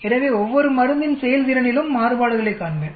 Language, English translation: Tamil, So I will see variations in the performance of each of the drug